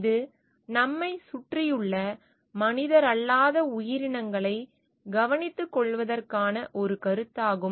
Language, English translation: Tamil, It is a concept of caring for the non human entities around us